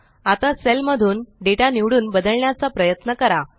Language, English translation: Marathi, Now, lets try to select and modify data in a cell